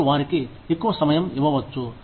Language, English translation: Telugu, You can give them, more time